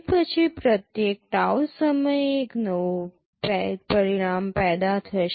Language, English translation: Gujarati, After that every tau time there will be one new result being generated